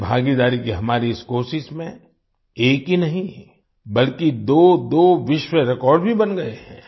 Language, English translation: Hindi, In this effort of ours for public participation, not just one, but two world records have also been created